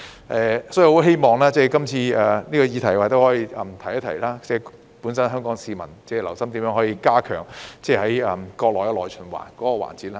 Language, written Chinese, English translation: Cantonese, 我亦希望藉這項議題提一提，香港市民要留心如何加強國家內循環的環節。, While we are on this topic I also wish to remind Hong Kong people to note how the domestic circulation of our country may be enhanced